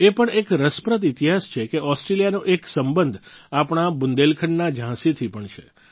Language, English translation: Gujarati, There's an interesting history as well…in that, Australia shares a bond with our Jhansi, Bundelkhand